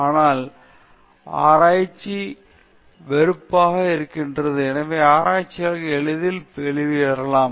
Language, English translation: Tamil, The reason is that research is frustrating; hence, researchers might look out for an easy way out